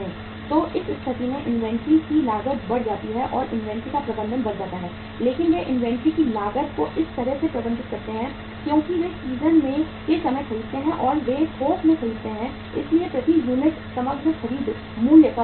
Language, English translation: Hindi, So in that case the inventory cost goes up or managing the inventory goes up but they manage the inventory cost in a way because they buy during the time at the time of season and they buy in bulk so overall purchase price per unit goes down